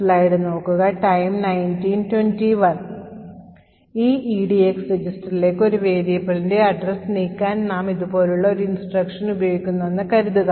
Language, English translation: Malayalam, So let us say that we have an instruction like this where we want to move the address of a variable to this register EDX